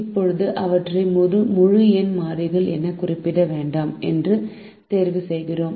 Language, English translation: Tamil, now, at the moment we choose not to represent them as integer variables